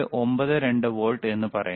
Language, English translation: Malayalam, 92 volts, excellent